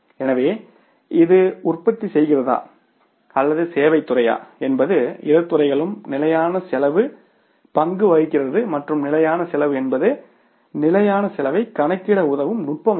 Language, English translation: Tamil, So in both the sectors whether it is manufacturing or it is services sector, standard cost plays the role and standard costing is the technique which helps us to calculate the standard cost